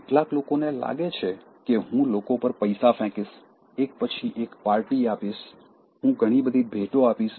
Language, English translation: Gujarati, Some people think that I will throw money on people, I will give party after party, I will give lot of gifts